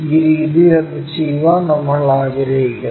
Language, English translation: Malayalam, That is the way we would like to do to do that